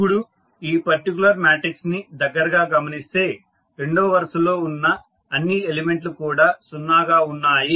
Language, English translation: Telugu, Now, if you look this particular matrix closely you will see that the second column is, second row is having all elements is 0